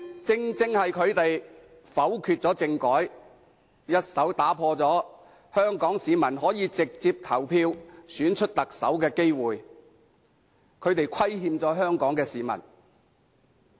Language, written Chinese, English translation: Cantonese, 正因為他們否決政改，一手剝奪香港市民可以直接投票選出特首的機會，他們對香港市民有所虧欠。, It is precisely because they vetoed the constitutional reform package that Hong Kong people are deprived of the opportunity to vote directly to elect the Chief Executive; they have let Hong Kong people down